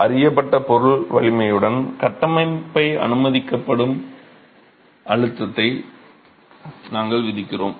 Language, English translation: Tamil, With the material strength known, we impose the permissible stress that the structure is going to be allowed to experience